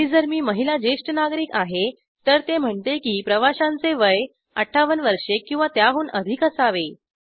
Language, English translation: Marathi, And if i am female senior citizen, then it says that passengers age should be 58 years or more